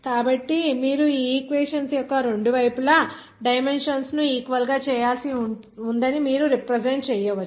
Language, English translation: Telugu, so you can represent that you have just to make it equivalent to dimensions on both sides of this equation